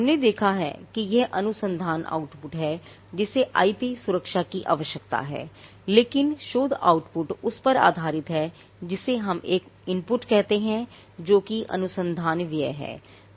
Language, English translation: Hindi, Now, we have seen that it is the research output that needs IP protection, but research output is based on what we call an input which is the research spending